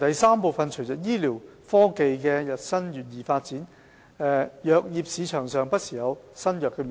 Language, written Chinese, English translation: Cantonese, 三隨着醫療科技發展日新月異，藥業市場上不時有新藥面世。, 3 With the advancement of medical technologies new drugs come into the market from time to time